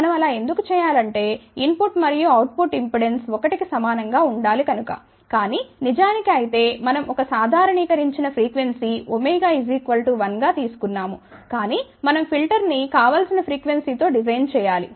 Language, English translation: Telugu, Why we have to do that because we had taken input and output impedances to be equal to 1, but in the reality that will never with the case and we had taken an normalize frequency which is omega equal to 1 , but we need to design filter at the desired frequency